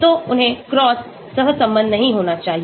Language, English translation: Hindi, So they should not be cross correlated